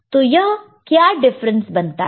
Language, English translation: Hindi, So, what difference does it make